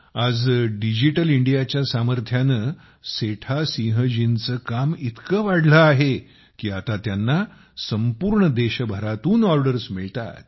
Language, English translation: Marathi, Today, with the power of Digital India, the work of Setha Singh ji has increased so much, that now he gets orders from all over the country